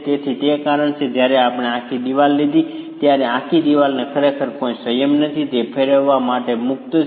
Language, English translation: Gujarati, So, that is the reason why when we took the whole wall, the whole wall really has no restraint